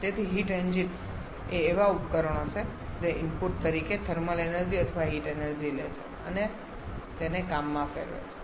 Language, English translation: Gujarati, So, heat engines are a device which takes thermal energy or heat as the input and converts this to work